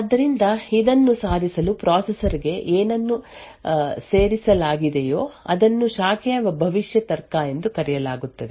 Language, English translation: Kannada, So, in order to achieve this What is added to the processor is something known as a branch prediction logic